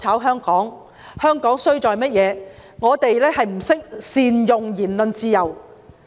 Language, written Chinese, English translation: Cantonese, 香港之所以衰落，是因為我們不懂得善用言論自由。, The reason for Hong Kongs degradation is that we have failed to make good use of our speech freedom